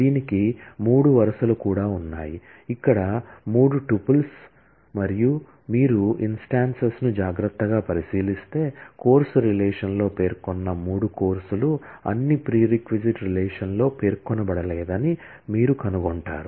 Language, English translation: Telugu, It also has three rows; three tuples here, and if you look at the instances carefully, you will find that the three courses that are specified in the course relation all are not specified in the prereq relation